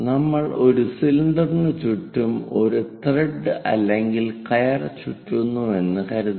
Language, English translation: Malayalam, So, if we are winding a thread or rope around a cylinder